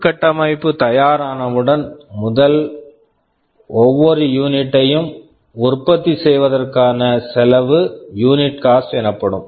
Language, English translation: Tamil, After we have that infrastructure, what is the cost of manufacturing every copy of the system, which you define as the unit cost